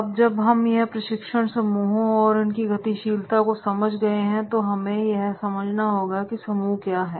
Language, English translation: Hindi, Now, whenever we are talking about the understanding the training groups and its dynamics, so first we have to understand that is what is the group